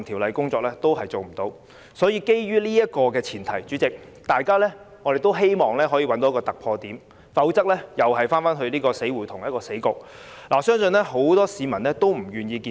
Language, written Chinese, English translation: Cantonese, 所以，主席，基於上述前提，大家也希望可以找到一個突破點，否則只會是一個死局，我相信很多市民也不願意看到。, Hence President given the above we hope that there can be a breakthrough; otherwise we will end up in a hopeless situation . I believe this is not something the public wish to see